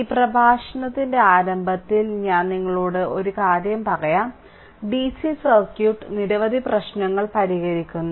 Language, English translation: Malayalam, So, just beginning of this lecture let me tell you one thing, that for DC circuit we will so, we are solving so many problems